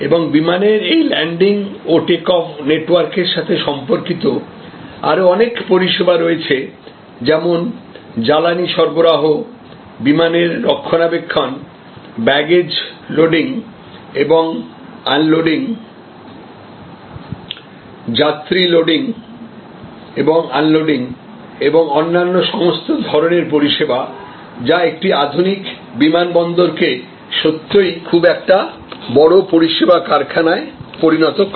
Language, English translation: Bengali, And related to this landing and taking off of network, aeroplane, we have number of other services, the fueling services, the maintenance services of the aircraft, the baggage loading, unloading; the passenger loading unloading and all other different kinds of services, which make a modern airport really a very large service factory